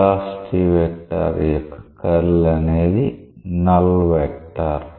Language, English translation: Telugu, The curl of the velocity vector is a null vector